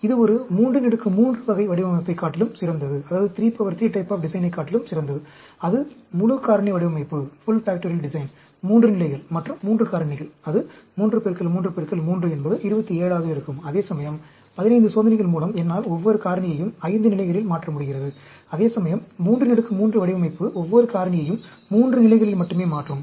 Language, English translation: Tamil, This is better than a 3 power 3 type of a design, a full factorial design, 3 levels and 3 factors, that will be 3 into 3 into 3 is 27, whereas with 15 experiments, I am able to change each of the factor 5 levels; whereas a 3 power 3 design will change each of the factor only 3 levels